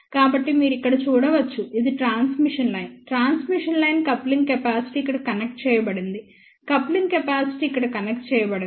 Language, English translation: Telugu, So, you can see here this is the transmission line, transmission line coupling capacitor connected over here coupling capacitor connected over here